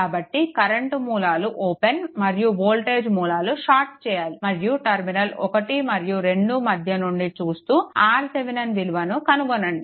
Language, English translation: Telugu, So, current sources open and this voltage sources is voltage sources shorted right and looking from in between terminal 1 and 2, you will get the R Thevenin right